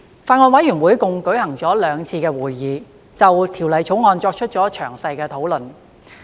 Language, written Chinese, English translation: Cantonese, 法案委員會共舉行了2次會議，就《條例草案》作出詳細討論。, The Bills Committee has held a total of two meetings to discuss the Bill in detail